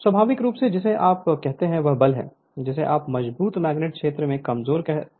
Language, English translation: Hindi, So, naturally your what you call this is the force is acting your what you call this from stronger magnetic field to the weaker one